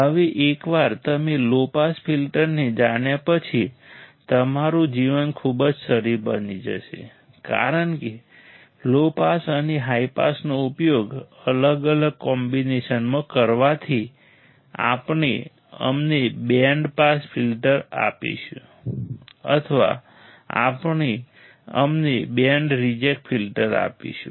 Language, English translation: Gujarati, Now once you know low pass filter your life become super easy, because using the low pass and high pass in different combination, we will give us the band pass filter or we will give us the band reject filter